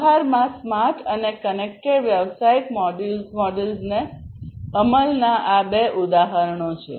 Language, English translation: Gujarati, So, these are the two examples of smart and connected business models being implemented in practice